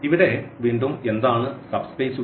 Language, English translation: Malayalam, So, here again this what are the subspaces here